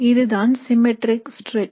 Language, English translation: Tamil, So this is a symmetric stretch